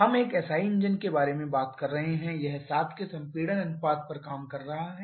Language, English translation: Hindi, We are talking about a SI engine it is working the compression ratio of 7